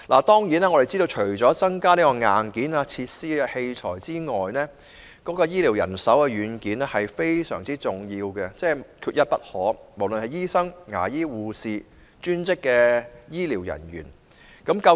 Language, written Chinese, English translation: Cantonese, 當然，我們知道，除了增加設施及器材等硬件外，醫療人手等軟件也非常重要，無論是醫生、牙醫、護士或專職醫療人員，亦缺一不可。, Certainly we know that apart from increasing the supply of health care hardware such as facilities and equipment it is essential to expand its software such as health care manpower